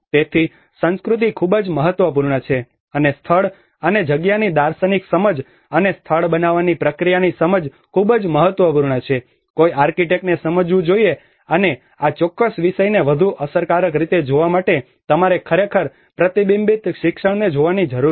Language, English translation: Gujarati, So the culture is very important, and understanding of the philosophical understanding of place and space and the process of making a place is very important that an architect has to understand and this particular subject needs even further more debate to actually look at a reflective learning you know how we learn from the practice is very important